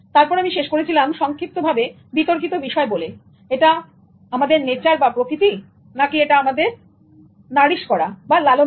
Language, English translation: Bengali, Then I ended up briefly talking about the debate whether it is nature or nurture